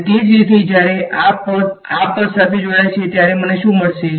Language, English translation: Gujarati, And similarly, when this guy combines with this guy what do I get